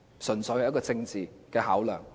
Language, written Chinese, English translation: Cantonese, 純粹是政治的考量。, It was purely a political consideration